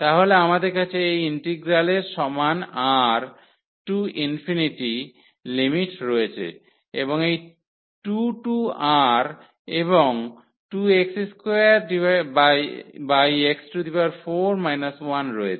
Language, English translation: Bengali, So, we have this integral equal to the limit R to infinity and this 2 to R and 2x square over x 4 minus 1 dx